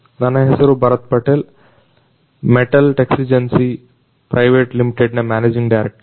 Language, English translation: Kannada, My name is Bharath Patel; managing director from Metal Texigency Private Limited